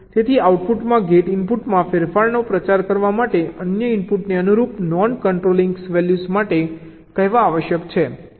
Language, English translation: Gujarati, so to propagate change in a gate input to the output, the other input must be said to the corresponding non controlling values